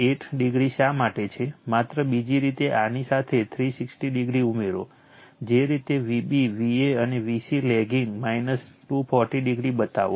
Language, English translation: Gujarati, 8 degree is there, just you other way you add 360 degree with this, just the way you show vb va that vc lagging minus 240 degree